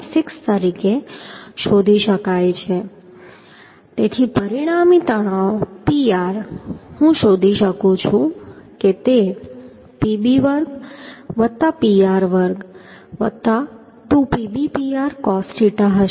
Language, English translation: Gujarati, 6 so the resultant stress Pr I can find out that will be Pb square plus Pr square plus 2 PbPr cos theta